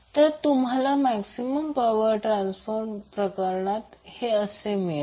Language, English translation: Marathi, So, this is what you get under the maximum power transfer condition